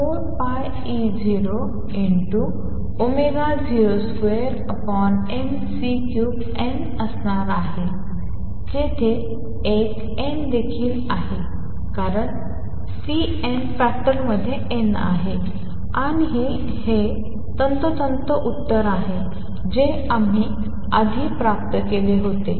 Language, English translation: Marathi, There is an n also because the C n factor has n and this is precisely the answer we had obtained earlier